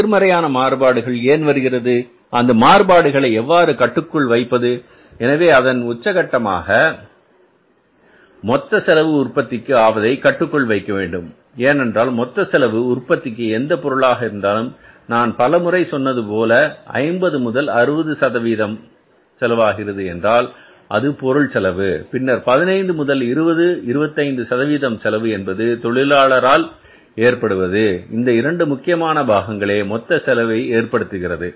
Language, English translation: Tamil, So, this way we have to analyze these labor variances and we have to try to find out that if in any case the variances are negative, why these negative variances are coming up and how we can control these variances so that ultimate purpose of controlling the total cost of production because in the total cost of production of any product I told you many times that 50 to 60 percent cost is because of material and then the 15 to 20 25 percent of the cost is because of labor and these are the two very important components in the total cost